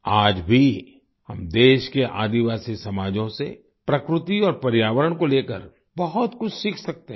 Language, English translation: Hindi, Even today, we can learn a lot about nature and environment from the tribal societies of the country